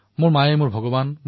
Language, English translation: Assamese, My mother is God to me